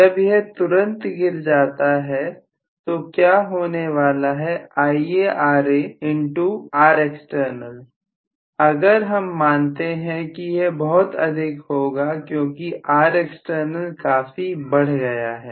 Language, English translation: Hindi, When it is dropping immediately what is going to happen is IaRa into Rexternal if I assume that that is going to be somewhat larger because Rexternal has increased quite a bit